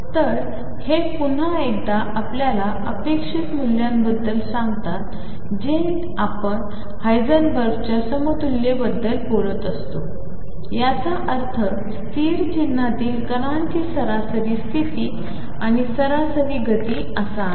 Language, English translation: Marathi, So, these again tell us at these expectation values as defined earlier when we talking about equivalence of Heisenberg and showed in this picture, do have a meaning of being the average position and average momentum of a particle in state sign